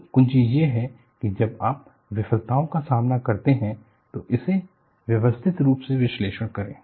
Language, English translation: Hindi, So, the key is, when you face failures, analyze it systematically